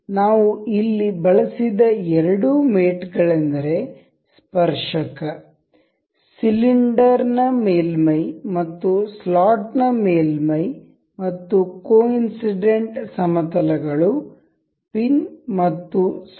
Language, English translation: Kannada, The two the two mates we have used here is tangent, the surface of the cylinder and the surface of the slot and the coincidental planes of the both of these, the pin and the slot